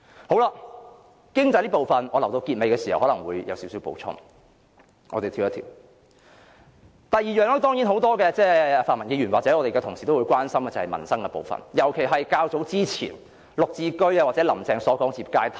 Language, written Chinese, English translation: Cantonese, 就經濟這部分，我留待結尾會再作少許補充，我現在跳往第二方面，就是很多泛民議員或我們的同事都很關心的民生部分，特別是較早前"林鄭"談及的"綠置居"或置業階梯。, On this discussion about our economy I will add a little more information at the end of my speech . Let me now jump to the second part which is about peoples livelihood . This is a topic that many pro - democracy Members or our colleagues have expressed concerns―in particular the Green Form Subsidised Home Ownership Scheme or the housing ladder mentioned by Carrie LAM earlier on